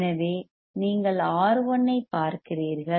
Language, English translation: Tamil, So, one you see R 1